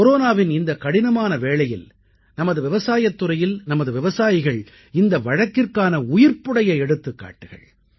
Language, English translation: Tamil, In this difficult period of Corona, our agricultural sector, our farmers are a living testimony to this